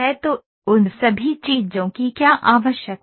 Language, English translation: Hindi, So, what are all those things required